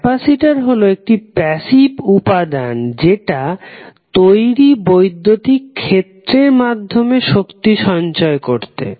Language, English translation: Bengali, So, capacitor is a passive element design to store energy in its electric field